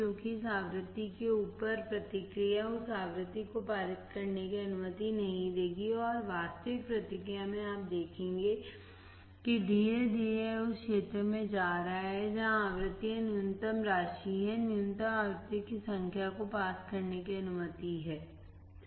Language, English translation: Hindi, Because will above this frequency the response the frequency would not allowed to pass and in the actual response you will see that slowly it is going to the region where frequencies are minimum amount, minimum number of frequencies are allowed to pass right